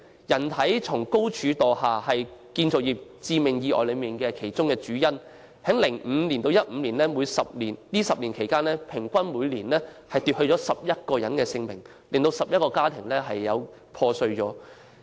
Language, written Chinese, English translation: Cantonese, "人體從高處墮下"是建造業致命意外的主要類別，由2005年至2015年的10年間，每年平均奪去11人性命，造成11個破碎家庭。, Fall of person from height is a major category of fatal accidents in the construction industry . During the decade from 2005 to 2015 11 lives were lost on average each year shattering 11 families